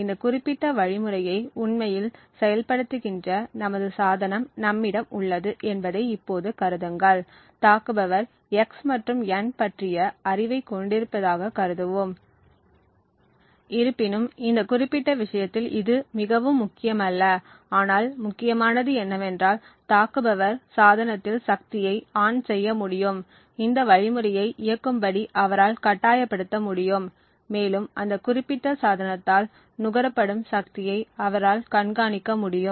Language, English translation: Tamil, Now consider that we have our device which is actually implementing this particular algorithm is in the hands of the attacker, the attacker let us assume has knowledge of x and n although in this particular case it is not very important, but what is important is that the attacker is able to power ON the device, he is able to force this algorithm to execute and he is able to monitor the power consumed by that particular device